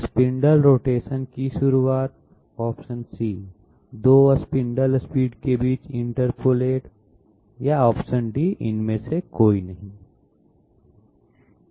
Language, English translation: Hindi, B: start the spindle rotation, interpolate between 2 spindle speeds, none of the others